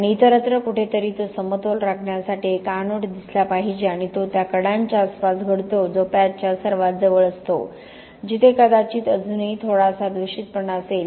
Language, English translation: Marathi, And somewhere else there has to appear an anode to balance it out and that tends to happen around the edges which is the nearest to the patch where there is probably still a little bit of contamination